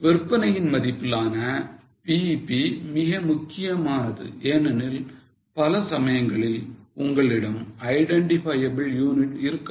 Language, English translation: Tamil, Now, BEP in sales value is also very important because many times you may not have an identifiable unit